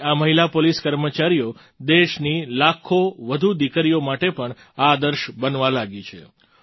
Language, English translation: Gujarati, These policewomen of ours are also becoming role models for lakhs of other daughters of the country